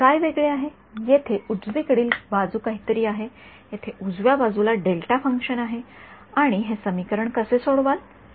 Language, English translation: Marathi, What is different is, here the right hand side is something and here the right hand side is delta function and how did we solve this equation